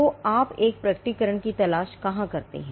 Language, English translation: Hindi, So, where do you look for a disclosure